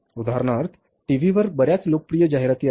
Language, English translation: Marathi, For example, they are very popular ads on the TV